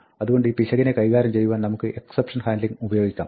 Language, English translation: Malayalam, So, what we can do is, we can use exception handling to deal with this error